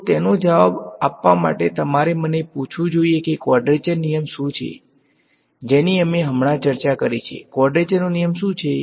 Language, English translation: Gujarati, So, to answer that you should ask me what is a quadrature rule we just discussed, what is the quadrature rule